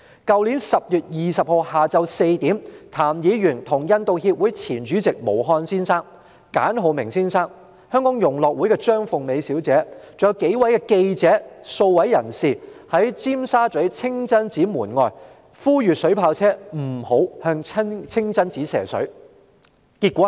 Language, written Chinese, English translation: Cantonese, 去年10月20日下午4時，譚議員與印度協會前主席毛漢先生、簡浩明先生，以及香港融樂會的張鳳美小姐及數位記者和公眾人士，在尖沙咀清真寺門外呼籲警方不要使用水炮車向清真寺射水。, At 4col00 pm on 20 October last year outside the Kowloon Masjid in Tsim Sha Tsui Mr TAM and Mr Mohan CHUGANI former President of The India Association Hong Kong Mr Phillip KHAN Ms Phyllis CHEUNG of Hong Kong Unison and a number of reporters and members of the public urged the Police not to use water cannon vehicles to spray water at the mosque